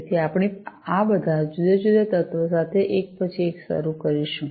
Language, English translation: Gujarati, So, we will start one by one with all these different elements